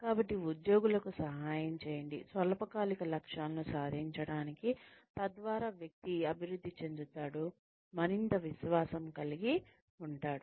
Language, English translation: Telugu, So, help the employees, achieve short term goals, so that the person can develop, more confidence